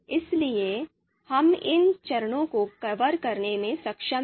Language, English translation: Hindi, So we have been able to cover these steps